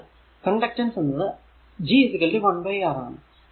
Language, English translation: Malayalam, So, conductance is G is equal to 1 upon R